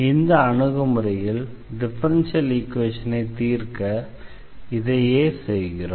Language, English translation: Tamil, So, this is the differential this is the solution of the given differential equation